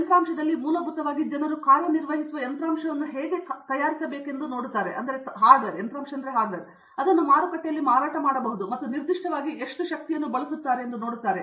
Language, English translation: Kannada, In the hardware, basically people were looking at how to make hardware that will work, that can be sold in the market and specifically they were looking at how much power it will consume